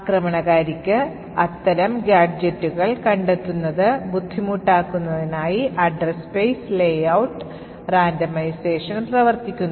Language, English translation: Malayalam, Now the Address Space Layout Randomisation or the ASLR works so as to make it difficult for the attacker to find such gadgets